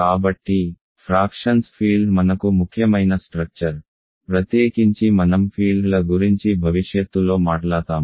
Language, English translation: Telugu, So, field of fractions is an important construction for us, especially when we talk about in the future when we talk about fields